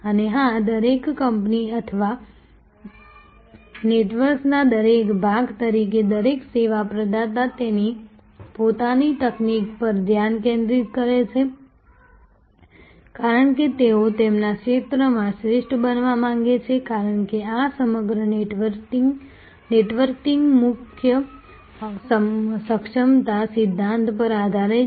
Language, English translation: Gujarati, And of course, as each company or each part of the network each service provider focuses on his own technology; because they are want to be the best in their field, because this entire networking is based on core competency principle